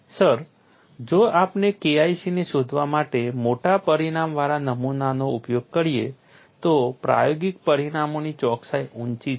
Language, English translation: Gujarati, Sir if we uses specimen with large dimension to find K 1c, the accuracy of experimental results is high